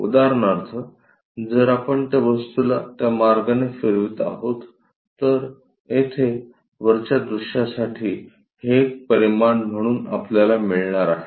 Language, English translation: Marathi, For example, if we are rotating this object in that way, we are going to get this one as the dimension here for the top view